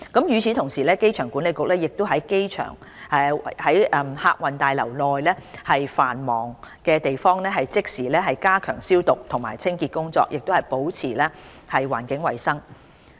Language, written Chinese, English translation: Cantonese, 與此同時，機場管理局亦已於客運大樓內繁忙的地方即時加強消毒及清潔工作，保持環境衞生。, At the same time the Airport Authority has immediately stepped up its disinfection and cleansing work in the busy areas of the Terminal Buildings to maintain environmental hygiene